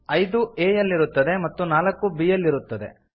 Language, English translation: Kannada, 5 will be stored in a and 4 will be stored in b